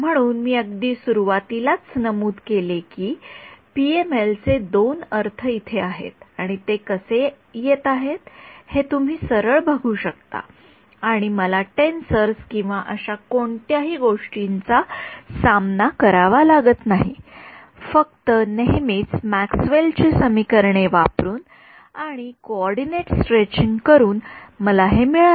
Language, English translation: Marathi, So, in the very beginning I had mentioned that, these are the two interpretations of PML over here you can see straight away how it is coming right and I did not have to deal with tensors or any such things, I got is just by using our usual Maxwell’s equations and stretching the coordinates right